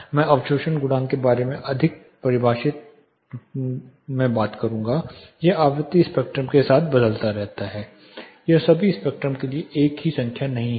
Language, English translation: Hindi, I will define more about and talk more about the absorption coefficient it varies with frequency spectrum it is not a single number for all the spectrum